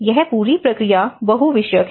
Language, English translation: Hindi, So, this whole process has a multidisciplinary